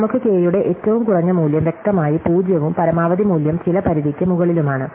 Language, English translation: Malayalam, So, we have the minimum of value of K is clearly 0 and the maximum value is some upper bound